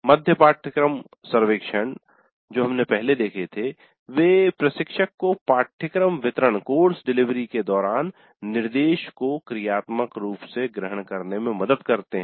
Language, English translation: Hindi, Mid course surveys which we saw earlier, they do help the instructor to dynamically adopt instruction during the course delivery